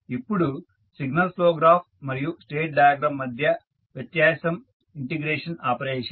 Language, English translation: Telugu, Now, the difference between signal flow graph and state diagram is the integration operation